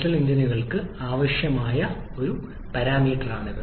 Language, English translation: Malayalam, This is a new parameter that is required for Diesel engines